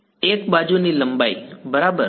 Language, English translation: Gujarati, l the length of the edge right